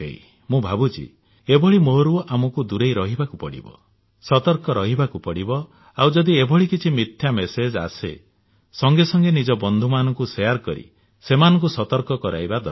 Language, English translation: Odia, I believe that we must be aware against such lure, must remain cautious and if such false communications come to our notice, then we must share them with our friends and make them aware also